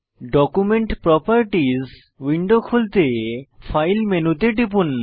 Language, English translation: Bengali, To open Document Properties window, click on File menu